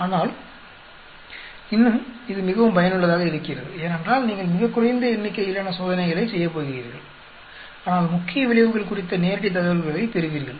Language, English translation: Tamil, But still it is very very useful because, you are going to do very less number of experiments, but you will get lot of live information on the main effects